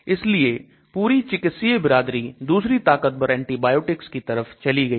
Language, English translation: Hindi, So the medical fraternity has moved into much more powerful antibiotics